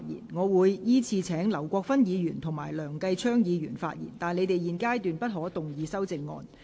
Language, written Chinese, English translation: Cantonese, 我隨後會依次請劉國勳議員及梁繼昌議員發言；但他們在現階段不可動議修正案。, I will then call upon Mr LAU Kwok - fan and Mr Kenneth LEUNG to speak respectively; but they may not move the amendments at this stage